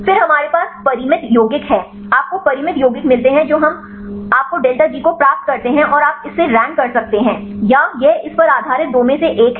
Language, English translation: Hindi, Then we have finite compounds, you get the finite compounds we get your delta G and you can rank or this is one this is two based on this scoring function right